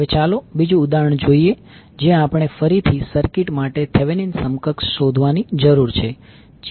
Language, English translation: Gujarati, Now, let us see another example where we need to find again the Thevenin equivalent for the circuit